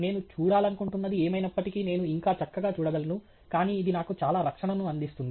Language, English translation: Telugu, I can still see perfectly fine whatever it is that I wish to see, but it provides me with a lot of protection